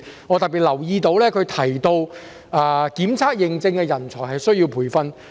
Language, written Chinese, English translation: Cantonese, 我特別留意到他提及需要培訓檢測認證的人才。, I especially noticed that he mentioned the need for training of testing and certification personnel